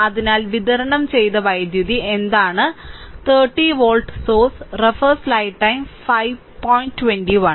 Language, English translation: Malayalam, So, what is the power supplied by the 30 volt source right